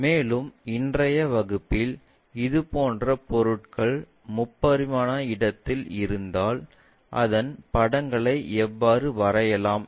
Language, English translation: Tamil, And, in today's class we will see if such kind of objects are oriented in three dimensional space how to draw those pictures